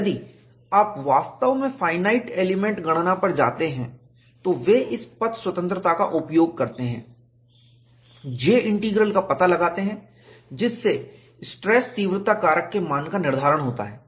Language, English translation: Hindi, If you really go to finite element computation, they use this path independence, find out J Integral, from that, determined the value of the stress intensity factor